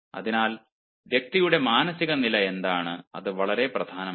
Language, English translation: Malayalam, so what is the mental state of the person